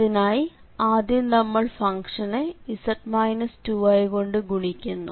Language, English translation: Malayalam, So, we have to multiply by the z minus 2 i and then f z